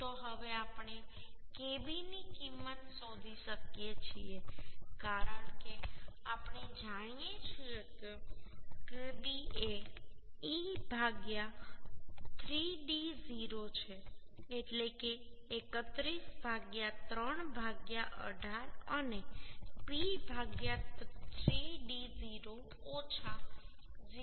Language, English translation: Gujarati, 6 means 31 mm right So now we can find out the value of kb as we know kb is the e by 3d0 that means 31 by 3 into 18 and p by 3 dd 0minus 0